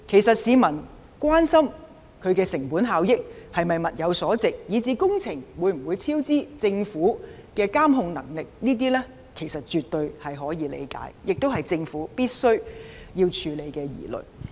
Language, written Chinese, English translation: Cantonese, 市民關心其成本效益、是否物有所值、工程會否超支、政府的監控能力等，其實絕對可以理解，亦是政府必須處理的疑慮。, People are worried about whether the programme will be cost - effective whether it is worthwhile will there be cost overruns as well as the Governments capability of monitoring the project . All of these are absolutely understandable and also worries that must be addressed by the Government